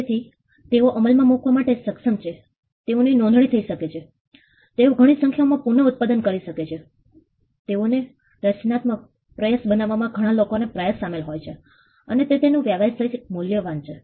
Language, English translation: Gujarati, So, they are capable of being enforced they can be registered they can be duplicated reproduced in many numbers, it involves effort to create them a creative effort sometime by many people put together and it has commercial value